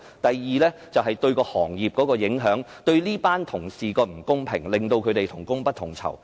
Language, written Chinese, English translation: Cantonese, 第二，這樣對行業有影響、對這群同事不公平對待，令他們同工不同酬。, Secondly it affects the industry and gives unfair treatment to this group of workers who receive different pay for the same work done